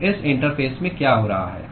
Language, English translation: Hindi, So what is happening at this interface